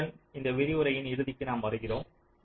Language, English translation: Tamil, so with this we come to the end of this lecture